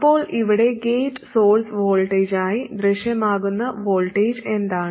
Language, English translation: Malayalam, Then what is the voltage that appears as the gate source voltage here